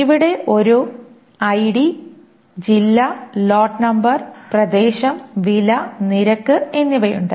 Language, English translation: Malayalam, Here is an ID district lot number, area, price and rate